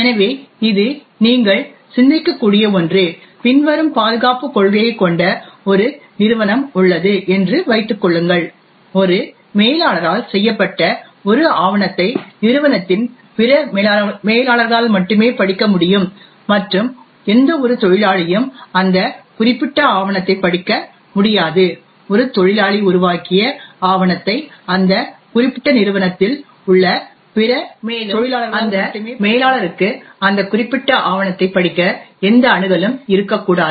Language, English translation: Tamil, So this is something you can think about is assume that there is a company which has the following security policy, a document made by a manager can be only read by other managers in the company and no worker should be able to read that particular document, document made by a worker can be only read by other workers in that particular company and no manager should have any access to read that particular document